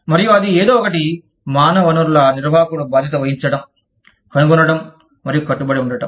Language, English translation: Telugu, And, that is something, that the human resource manager, is responsible for, finding out and adhering to